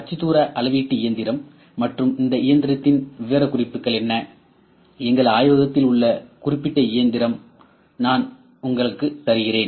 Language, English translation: Tamil, Then what is coordinate measuring machine and specification of this machine, the particular machine that we have in our lab that I will give you